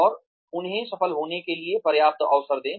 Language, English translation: Hindi, And, give them enough opportunity, to succeed